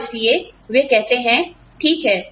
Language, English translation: Hindi, And, so, they say, okay